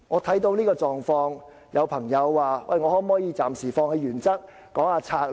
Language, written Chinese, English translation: Cantonese, 看到這個狀況，有朋友問我可否暫時放棄原則，講求策略。, In view of this a friend has asked me whether I can put aside my principles for the time being and strategize